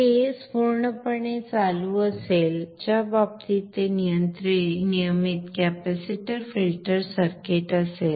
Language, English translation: Marathi, This is the regular rectified capacitor filter circuit